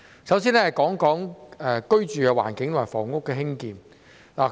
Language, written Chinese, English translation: Cantonese, 首先，我想說說居住環境和房屋的興建。, To start with I would like to talk about the living environment and housing development